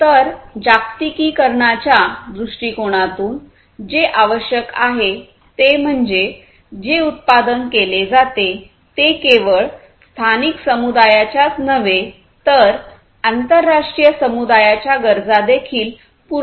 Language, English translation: Marathi, So, what is required is from the globalization point of view the product that is manufactured should not only cater to the needs of the local community, but also to the international community